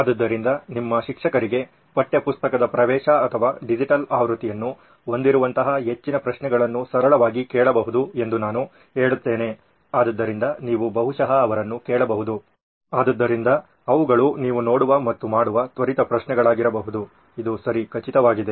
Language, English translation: Kannada, So I would say most of those can be asked as questions simple like does your teacher have access to or has a digital version of a textbook so that is something you can probably ask them, so those can be just quick questions that you see and make sure that this is right